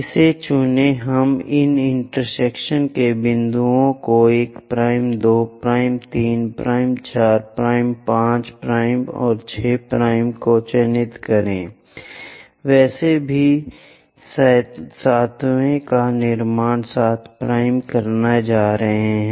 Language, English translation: Hindi, Pick this one, let us mark these intersection points 1 prime, 2 prime, 3 prime, 4 prime and 5 prime and 6 prime, anyway 7th one is going to construct 7 prime